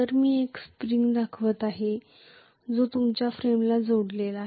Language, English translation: Marathi, So I am showing a spring which is attached to your frame